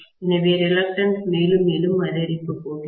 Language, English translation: Tamil, So, the reluctance is going to increase further and further